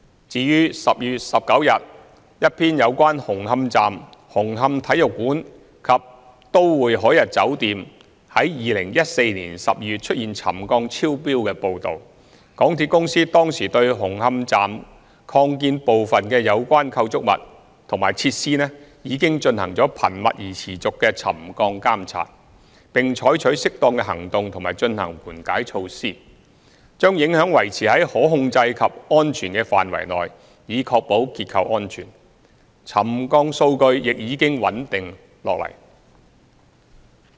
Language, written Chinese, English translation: Cantonese, 至於在10月19日一篇有關紅磡站、紅磡體育館及都會海逸酒店於2014年12月出現沉降超標的報道，港鐵公司當時對紅磡站擴建部分附近的相關構築物和設施進行頻密而持續的沉降監察，並採取適當的行動及進行緩解措施，把影響維持在可控制及安全的範圍內以確保結構安全，沉降數據已經穩定下來。, As regards a news report on 19 October concerning the settlement readings of Hung Hom Station the Hong Kong Coliseum in Hung Hom and the Harbour Plaza Metropolis exceeding the pre - set trigger level in December 2014 MTRCL at the time had been monitoring the settlement of the relevant structures and facilities in the vicinity of the Hung Hom Station Extension in a frequent and continuous manner taking appropriate actions and carrying out mitigation measures to bring the impacts to within controllable and safe range in a bid to ensure structural safety . The settlement readings have become stabilized